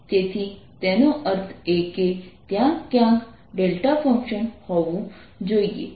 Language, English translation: Gujarati, so that means there must be a delta function somewhere